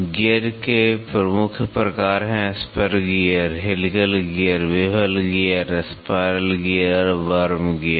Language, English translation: Hindi, The major types of gear are spur gear, helical gear, bevel gear, spiral gear, and worm gears